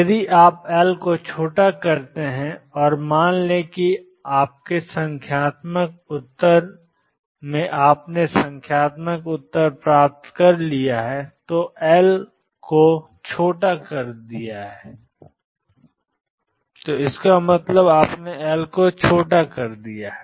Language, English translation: Hindi, If you make L smaller and let us say in your numerical answer you made getting the numerical answer you have made L smaller